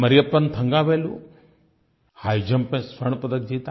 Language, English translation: Hindi, Mariyappan Thangavelu won a gold medal in High Jump